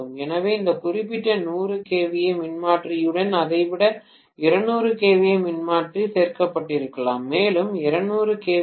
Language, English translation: Tamil, So, rather than that along with this particular 100 kVA transformer maybe another 200 kVA transformer was added, one more 200 kVA